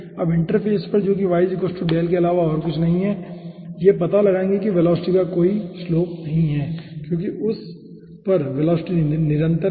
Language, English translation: Hindi, now at aah interface, which is nothing but y equals to delta, will be finding out that there is no gradient of velocity because the velocity continues over that